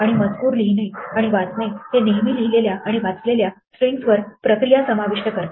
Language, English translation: Marathi, And reading and writing text invariably involves processing the strings that we read and write